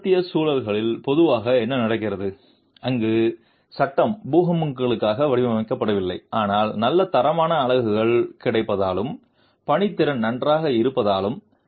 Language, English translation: Tamil, What typically happens in western contexts where frame is not designed for earthquakes but because of good quality units available and workmanship being good